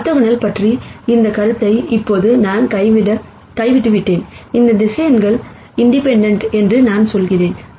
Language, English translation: Tamil, Now I have dropped this notion of orthogonal here, I am simply saying these vectors are independent